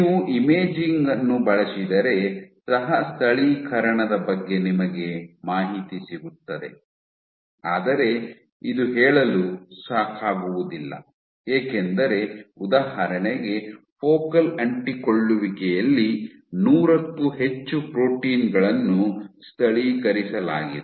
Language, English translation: Kannada, If you use imaging all you would get information about co localization, but this is not enough to say and we interact because we know for example, at focal adhesions you have greater than 100 proteins which localized